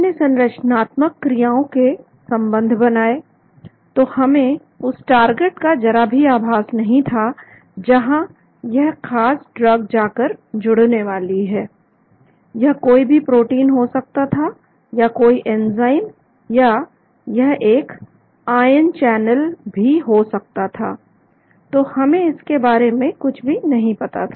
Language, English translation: Hindi, we developed structural activity relationships, so we never knew anything about the target at which this particular drug is going to go and bind, it would be a protein or an enzyme or it could be an ion channel, so we never knew anything about it